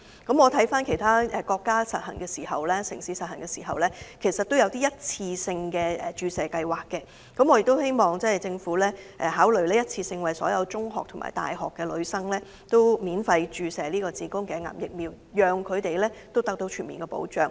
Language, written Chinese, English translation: Cantonese, 鑒於其他國家或城市是實施一次性的注射計劃，因此我希望政府也可考慮一次性的免費為全港所有中學及大學女生注射子宮頸癌疫苗，給予她們全面保障。, In view of the fact that some countries and regions have implemented some one - off vaccination programmes I also urge the Government to consider implementing a one - off free HPV vaccination programme to all female students of secondary schools and universities in Hong Kong so that they will be protected against cervical cancer